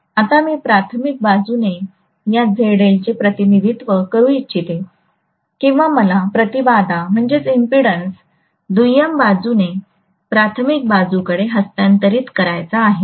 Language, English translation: Marathi, Now I would like to represent this ZL on the primary side or I want to transfer the impedance from the secondary side to the primary side